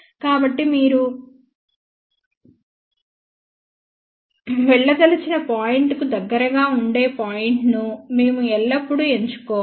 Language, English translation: Telugu, So, we should always choose a point which is closest to the point, where you would like to travel to see